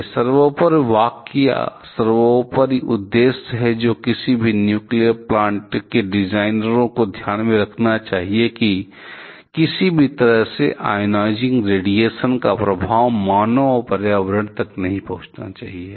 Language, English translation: Hindi, This is the paramount sentence or paramount objective that any nuclear plant designers should keep in mind, no way the effect of ionizing radiation should reach the human being and the environment